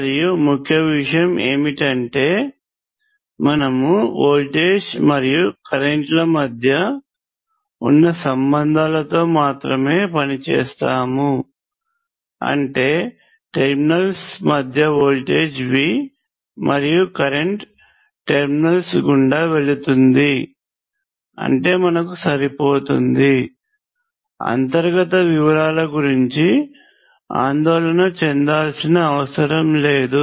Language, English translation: Telugu, And the key point is that for us, we will only work with the relationships between V and I that is V between the terminals and I going through the terminals that is good enough for us we do not need to worry about the internal details